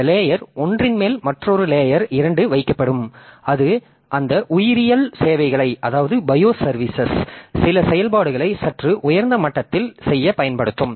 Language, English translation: Tamil, Then on top of that layer one so another layer layer two will be made so that will be utilizing those bios services for doing some operations at a slightly higher level